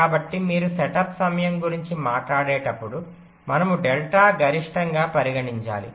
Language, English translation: Telugu, so when you talk about the setup time, we need to consider delta max